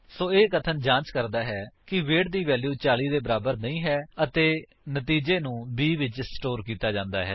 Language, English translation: Punjabi, So, this statement says: check if the value of weight is not equal to 40 and store the result in b